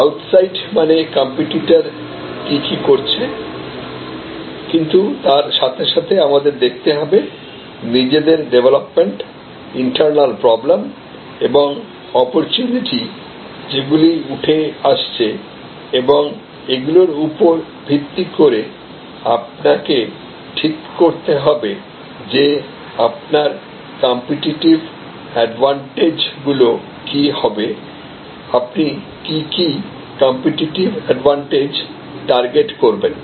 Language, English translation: Bengali, So, outside means what the competitors are doing, but at the same time you have to constantly look at what are the internal developments, internal problems and opportunities that are evolving and based on that you have to determine that what will be your competitive advantage, what competitive advantage you will target